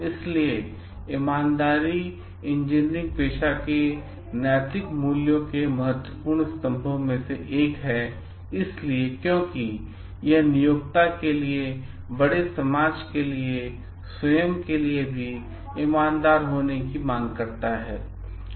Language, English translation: Hindi, So, honesty is one of the important pillars of the like ethical values expected for the engineering profession so because it demands being honest to employer, to the society at large and to oneself also